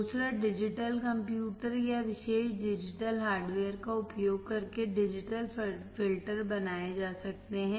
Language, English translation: Hindi, Second, digital filters are implemented using digital computer or special purpose digital hardware